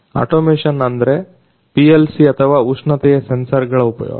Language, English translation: Kannada, Automation as in using PLC or temperature sensors